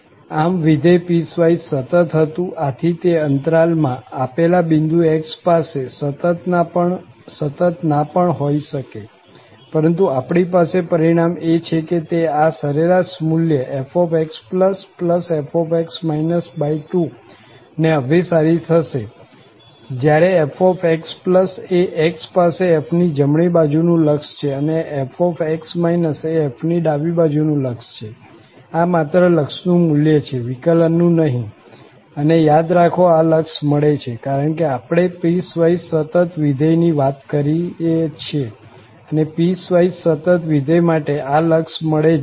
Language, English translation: Gujarati, So, the function was piecewise continuous, so it may not be continuous at a given point x in the interval, but what result we have that it will converge to this average value, so f is the right hand limit of f at x and this is the left hand limit of f, divided by 2, these are just the limiting values, not the derivative, and remember that these limits exist because we are talking about the piecewise continuous function and for piecewise continuous function, these limits will definitely exist